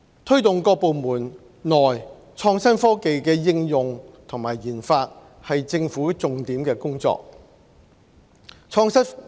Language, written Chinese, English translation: Cantonese, 推動各部門內創新科技的應用和研發是政府重點的工作。, Promoting the application research and development of innovation technology within the departments is one of the work highlights of the Government